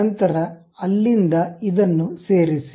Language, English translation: Kannada, Then from there, join this one